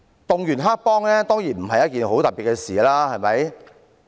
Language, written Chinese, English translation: Cantonese, 動員黑幫當然不是一件很特別的事，對嗎？, Mobilizing gangsters is surely no big deal is it?